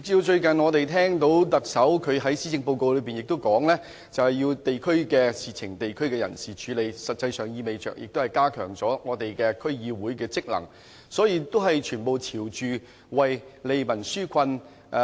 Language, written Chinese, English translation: Cantonese, 最近，我們聽到特首在施政報告中也指出，地區的事情由地區的人士處理，實際上亦意味着加強區議會的職能，所以全都是朝着利民紓困的方向去做。, Recently we heard the Chief Executive say in his policy address that district matters should be tackled by the locals in the districts so in effect the functions of DCs have been enhanced . And all of these are pointing in the direction of alleviating peoples hardship